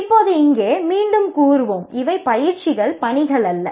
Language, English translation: Tamil, And now here we will say again these are exercises which are not actually assignments